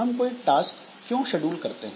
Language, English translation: Hindi, So, why do we schedule that task